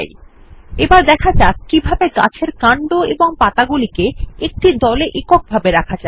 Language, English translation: Bengali, Let learn how to group the tree trunk and two leavesinto a single unit